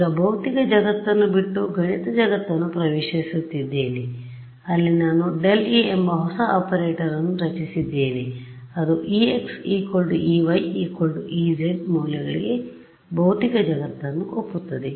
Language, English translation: Kannada, So, I am now left the physical world away I have entered a mathematical world where I have created a new operator called del E which agrees with physical world for values of ex E y E z equal to 1